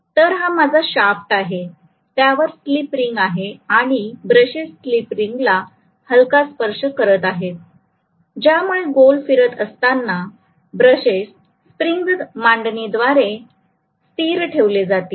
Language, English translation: Marathi, on that there is slip ring and the brushes are just touching the slip ring so as they rotate the brushes going to be held stationary with the spring arrangement